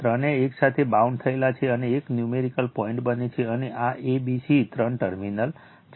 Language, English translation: Gujarati, All three are bound together and a numerical point is formed, and this is a, b, c that three terminals right